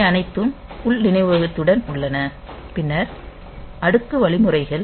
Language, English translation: Tamil, So, they are all with internal memory then the stack instructions